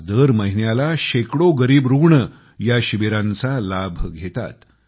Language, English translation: Marathi, Every month, hundreds of poor patients are benefitting from these camps